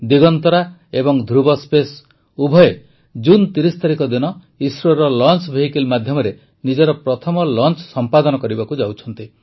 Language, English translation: Odia, Both Digantara and Dhruva Space are going to make their first launch from ISRO's launch vehicle on the 30th of June